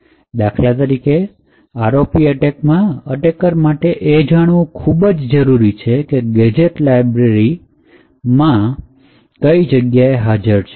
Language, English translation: Gujarati, For example, in the ROP attack, the attacker would need to know the exact addresses where these gadgets are present in the Libc library